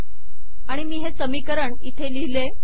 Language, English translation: Marathi, And I have written this equation here